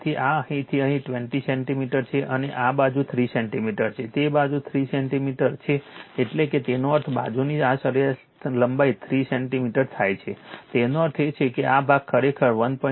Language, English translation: Gujarati, So, this is from here to here 20 centimeter and this 3 centimeter side, it 3 centimeter side means that is; that means, 3 centimeter side means this mean length; that means, this is actually this portion actually 1